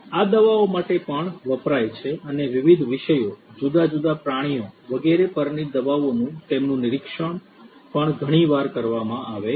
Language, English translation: Gujarati, These drugs are also used for you know the drugs and their monitoring of the drugs on different subjects, different animals and so on is also quite often done